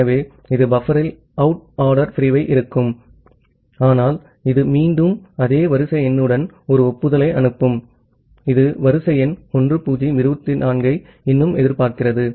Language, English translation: Tamil, So, it will put the out of order segment in the buffer, but it will again send an acknowledgement with this same sequence number, that it is still expecting sequence number 1024